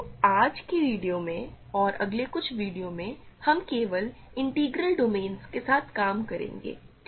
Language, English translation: Hindi, So, in today’s video and in next few videos, we will work with only integral domains ok